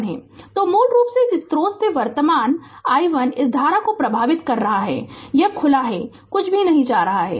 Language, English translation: Hindi, So, basically from this source the current i 1 is flowing this current this is open nothing is going